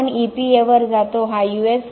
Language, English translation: Marathi, Then we go to the EPA this is the U